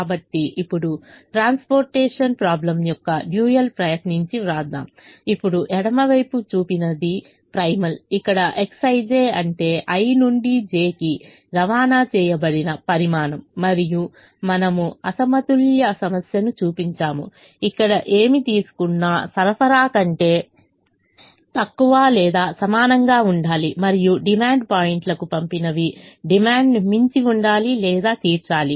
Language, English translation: Telugu, what is shown in the left is the primal, where x, i, j is the quantity transported from i to j, and we have shown the unbalanced problem where what is taken should be less than or equal to the supply and what is sent to the demand points should exceed or meet the demand